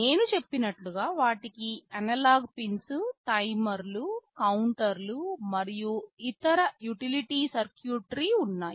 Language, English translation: Telugu, And as I have said they have analog pins, timers, counters and other utility circuitry